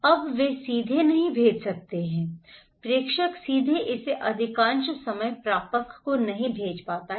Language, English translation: Hindi, Now, they cannot directly send, sender cannot directly send it to receiver most of the time